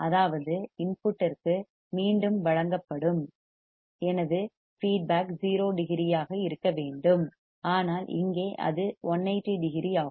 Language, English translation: Tamil, That means, my feedback that is provided back to the input should be 0 degree, but here it is 180 degrees